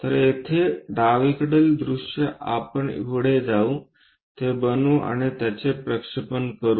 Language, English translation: Marathi, So, here left side view we will go ahead, construct that and represent that